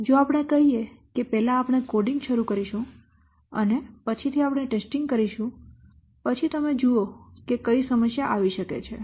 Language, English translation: Gujarati, So if somebody says that first we will start coding and later on will the testing, then you see what problem will occur